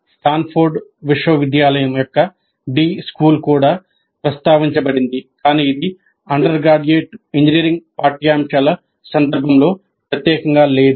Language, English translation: Telugu, The D school of Stanford University is also mentioned, but that was not specifically in the context of undergraduate engineering curricula